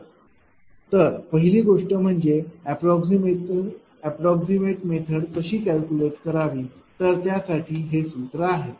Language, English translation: Marathi, So, first thing is how to calculate approximate method right so, this is the formula